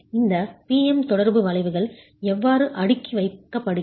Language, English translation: Tamil, How do these PM interaction curves stack up